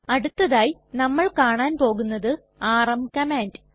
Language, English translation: Malayalam, The next command we will see is the rm command